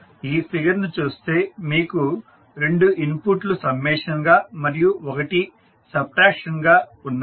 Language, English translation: Telugu, So, if you see this particular figure you have two inputs as a summation and one as subtraction